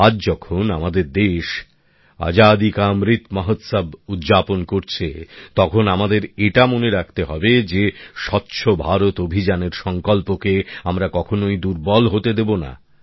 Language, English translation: Bengali, Today, when our country is celebrating the Amrit Mahotsav of Independence, we have to remember that we should never let the resolve of the Swachh Bharat Abhiyan diminish